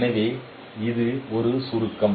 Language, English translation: Tamil, So this is a summary